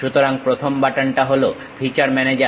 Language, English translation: Bengali, So, the first button is feature manager